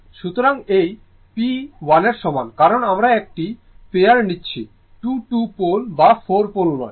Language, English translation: Bengali, So, it is p is equal to 1 because we are taking of a pair, not 2, 2 pole or 4 pole